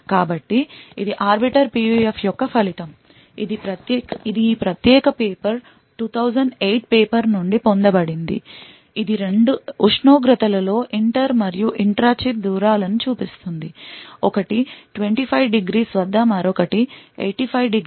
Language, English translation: Telugu, So, this is a result for an Arbiter PUF, it is obtained from this particular paper 2008 paper which shows both the inter and the intra chip distances at two temperatures; one is at 25 degrees and the other one is at 85 degrees ok